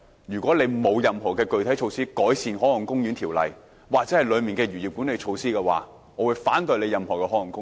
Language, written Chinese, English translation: Cantonese, 如果政府未來沒有任何具體措施改善《海岸公園條例》或當中的漁業管理措施，我會反對設立任何海岸公園。, If the Government does not have any concrete measures to enhance the Marine Parks Ordinance or the management initiatives for the fisheries industry I will oppose the establishment of any marine parks